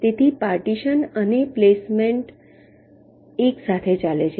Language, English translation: Gujarati, so partitioning in placement are going hand in hand